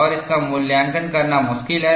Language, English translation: Hindi, And this is difficult to evaluate